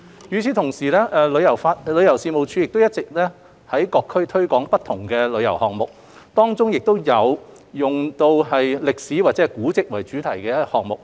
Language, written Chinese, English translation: Cantonese, 與此同時，旅遊事務署一直有在各區推廣不同的旅遊項目，當中有以歷史或古蹟為主題的項目。, In parallel the Tourism Commission TC has all along been promoting various tourism projects in different districts covering projects with historical and heritage themes